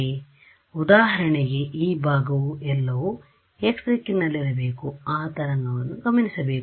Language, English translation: Kannada, So, for example, this part over here what all should be in what direction should it observe the wave